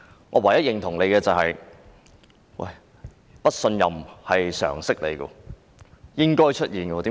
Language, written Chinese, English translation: Cantonese, 我唯一認同他的一點是不信任是常識，亦是應該出現的事。, The only point on which I agree with him is that the lack of confidence is common knowledge and it is something which should arise